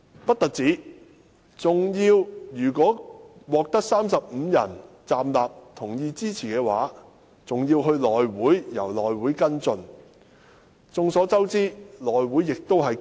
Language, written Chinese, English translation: Cantonese, 不單如此，如果獲得35人站立支持，事件還是要交由內務委員會跟進。, Not only this even with 35 Members rising in support of the petition the issue must still be referred to the House Committee for follow - up